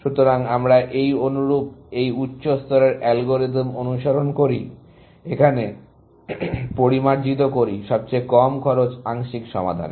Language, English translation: Bengali, So, we follow this similar, this high level algorithm, we follow; refine the cheapest cost partial solution